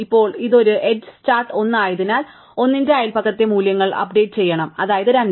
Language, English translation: Malayalam, Now, since this is an edge start at 1, we have to update the values in the neighbours of 1, namely at 2